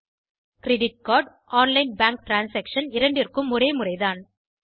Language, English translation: Tamil, The method is similar for credit card, online bank transaction is similar